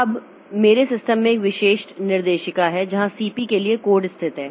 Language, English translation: Hindi, Now, there is a specific directory in my system where the code for CP is located